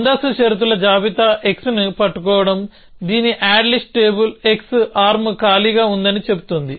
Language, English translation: Telugu, So, precondition list says holding x whose add list contains on table x arm empty